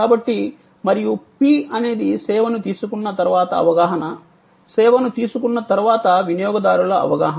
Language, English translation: Telugu, So, P is perception and this perception is customers perception after taking the service, after consuming the service